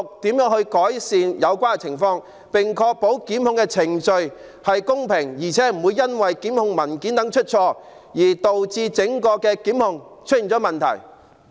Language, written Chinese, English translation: Cantonese, 當局如何改善有關情況，並確保檢控程序公平，而且不會因為檢控文件出錯，而導致檢控程序出現問題？, How will the authorities improve this situation and ensure that the prosecution process is fair and free from problems arising from mistakes in prosecution documents?